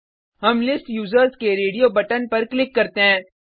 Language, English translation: Hindi, We will click on the radio button for List Users